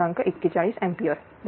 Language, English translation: Marathi, 41 ampere right